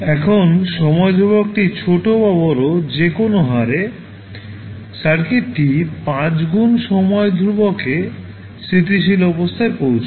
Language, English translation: Bengali, Now at any rate whether it is time constant is small or large, circuit will reaches at its steady state in 5 time constant